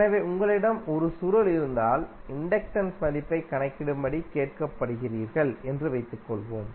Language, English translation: Tamil, So, suppose if you have a coil like this and you are asked to find out the value of inductance